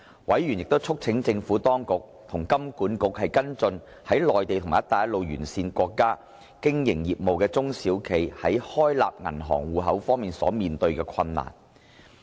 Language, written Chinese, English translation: Cantonese, 委員亦促請當局與香港金融管理局跟進在內地及"一帶一路"沿線國家經營業務的中小企在開立銀行戶口方面所面對的困難。, Members also urged the authorities to follow up with the Hong Kong Monetary Authority to address the difficulties faced by SMEs in opening bank accounts especially those with business operations in the Mainland and Belt and Road countries